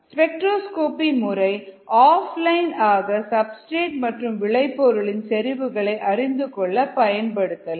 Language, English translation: Tamil, spectroscopic methods can be used for off line measurement of concentration of substrates and products